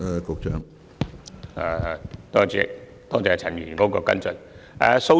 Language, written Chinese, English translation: Cantonese, 主席，多謝陳議員的跟進質詢。, President I thank Mr CHAN for his follow - up question